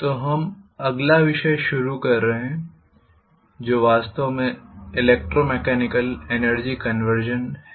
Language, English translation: Hindi, Okay, so we are starting on the next topic which is actually electromechanical energy conversion, okay